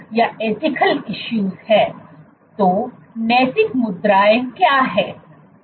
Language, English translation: Hindi, So, what is the ethical issue